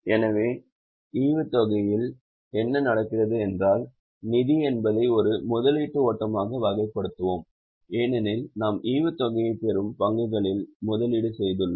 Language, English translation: Tamil, So, dividend received what happens is for non financial enterprises, we will always categorize it as a investing flow because we have made investment in shares, we get dividend